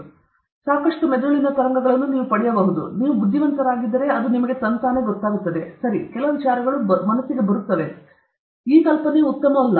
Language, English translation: Kannada, You may get lot of brain waves, but if you are intelligent and smart, then you will know that, ok, some many ideas come, this idea is not very good